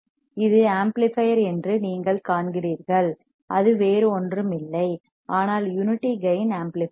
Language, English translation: Tamil, So, you see this is an amplifier this is amplifier, it is nothing, but unity gain amplifier